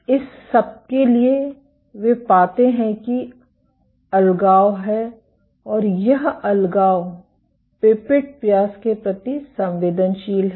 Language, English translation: Hindi, For all this they find that there is segregation and this segregation is sensitive to pipette diameter